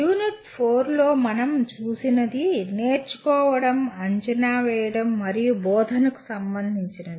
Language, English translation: Telugu, What we looked at in unit 4 is related to learning, assessment, and instruction